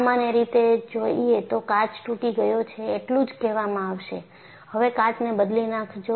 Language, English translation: Gujarati, A common man will only say the glass is broken, replace the glass